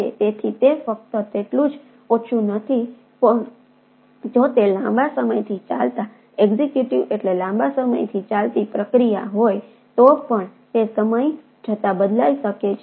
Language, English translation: Gujarati, so that is not only the less, it also varies on if it is a long running execute executive means long running process then it may vary over time